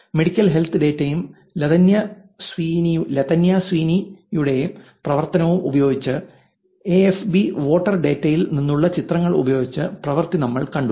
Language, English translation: Malayalam, So, the topics that we have seen until now are using older data we saw Latanya Sweeney's work using medical health data, again Latanya Sweeney's work, using pictures from FB voter data